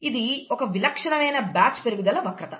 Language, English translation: Telugu, By the way, this is a typical batch growth curve